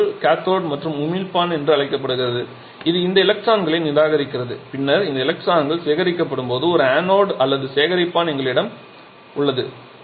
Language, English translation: Tamil, So, this material is called cathode we are not all so emitter which rejects this electron and then we have an anode or collector where this electrons are collected